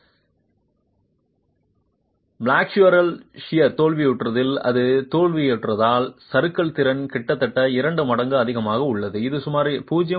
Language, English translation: Tamil, And if it is failing in shear, failing in flexure, assume that the drift capacity is higher almost two times, which is about 0